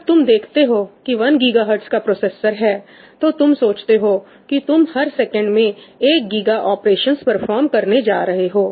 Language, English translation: Hindi, When you look at a 1 GigaHertz processor, you think you are going to perform 1 Giga operations every second, 1 Giga of floating point operations every second, right